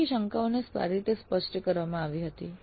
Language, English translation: Gujarati, Technical doubts were clarified well